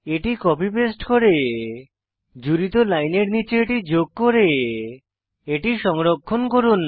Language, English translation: Bengali, Let us copy and paste that and add it just below the line we added and save it